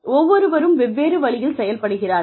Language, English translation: Tamil, And, everybody has a different way